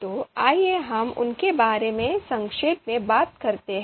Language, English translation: Hindi, So let us talk about them in brief